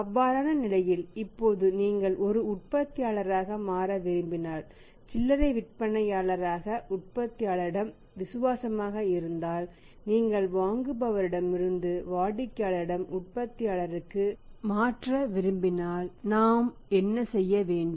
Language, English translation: Tamil, In that case now if you want to change as a manufacturer the retailers loyalty towards manufacturers if you want to shifted from the buyers to the customer to the manufacturer then what we have to do then what we have to do